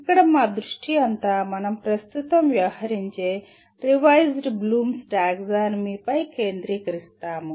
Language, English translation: Telugu, Our focus here is on Revised Bloom’s Taxonomy which we will presently deal with